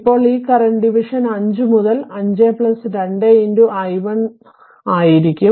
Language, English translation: Malayalam, Is a current division so 5 by 7 into i1t